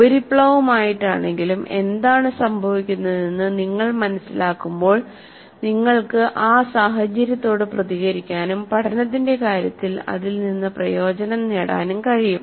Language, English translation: Malayalam, So when you understand what is happening inside, however superficially, you will be able to react to that situation and see that you benefit from that in terms of learning